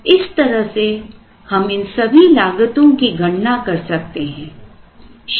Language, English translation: Hindi, Thus one can go about trying to compute all these costs